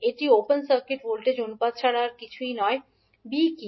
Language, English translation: Bengali, a is nothing but open circuit voltage ratio, what is b